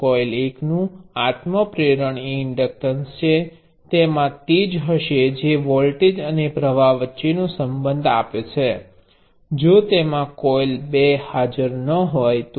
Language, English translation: Gujarati, The self inductance of coil one is the inductance, it would have which gives the relationship between voltage and current; if the coil two was not even present